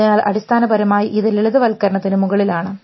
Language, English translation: Malayalam, So, essentially it is over simplification